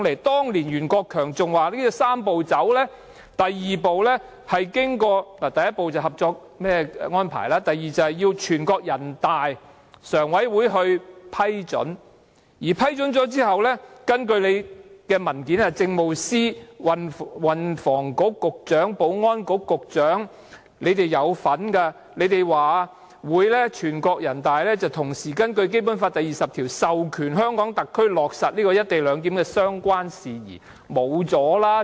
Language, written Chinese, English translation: Cantonese, 當年袁國強說"三步走"的第一步是合作安排，第二步是由全國人民代表大會常務委員會批准，在批准後，根據政府的文件，政務司司長、運輸及房屋局局長和保安局局長表示人大常委會會同時根據《基本法》第二十條授權香港特區落實"一地兩檢"的相關事宜。, Rimsky YUEN said back then that the first step of the Three - step Process was the Co - operation Arrangement the second step was the approval of the Standing Committee of the National Peoples Congress NPCSC and after this approval had been given according to the Governments paper the Chief Secretary for Administration the Secretary for Transport and Housing and the Secretary for Security said that NPCSC would grant HKSAR the power to implement matters in relation to the co - location arrangement in accordance with Article 20 of the Basic Law